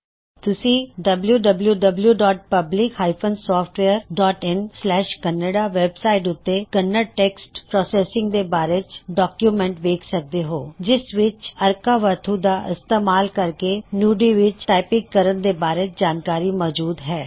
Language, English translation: Punjabi, Please refer to the document on Kannada text processing available at www.Public Software.in/Kannada for specific information about typing in Kannada, including typing in Nudi, using arkavathu